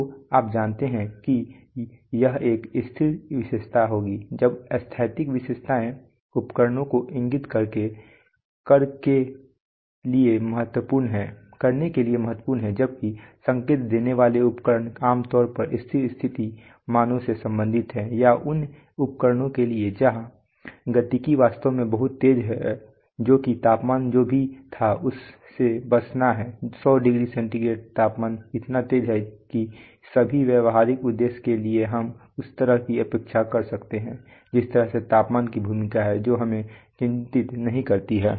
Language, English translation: Hindi, So you know that would be a static characteristics, now static characteristics are important for indicating instruments whether indicating instruments are generally concerned with steady state values or for, or for instruments where the dynamics is actually very fast that is this settling from whatever was the temperature to the hundred degree centigrade temperature is so fast that are that for all practical purposes we can neglect the way the temperature roles that is does not concern us